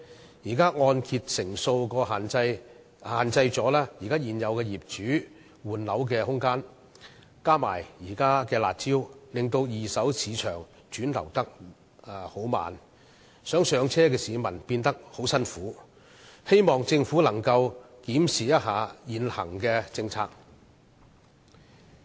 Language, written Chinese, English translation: Cantonese, 現時的按揭成數限制了現有業主換樓的空間，再加上現時的"辣招"使二手市場流轉緩慢，以致希望"上車"的市民很辛苦，我希望政府可以檢視現行政策。, At present the room for property owners to buy new flats in replacement of the existing flats is restricted by the loan - to - value ratio . Besides the curbs measures now in effect have slowed down the turnover in the second - hand market making the situation more difficult for people to buy their first flats . I hope the Government will examine the existing policy